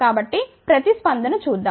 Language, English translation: Telugu, So, let see the response